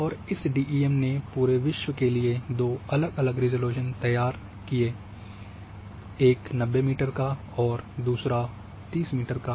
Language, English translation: Hindi, And create DEM’s for the entire globe at two different resolutions one has 90 meter and one at 30 meter